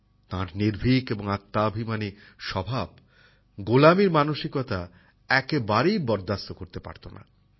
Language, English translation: Bengali, His fearless and selfrespecting nature did not appreciate the mentality of slavery at all